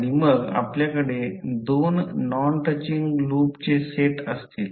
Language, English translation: Marathi, And, then you will have set of two non touching loops